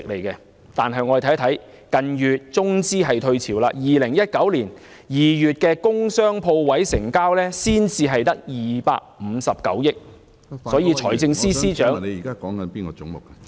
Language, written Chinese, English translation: Cantonese, 近月中資退潮 ，2019 年首2個月工商鋪位成交總額只有259億元，所以財政司司長......, As Chinese capital has withdrawn in the past month a total transaction value of only 25.9 billion was recorded for industrial commercial and shop units in the first two months of 2019 . So the Financial Secretary